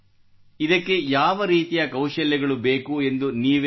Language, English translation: Kannada, Tell us what kind of skills are required for this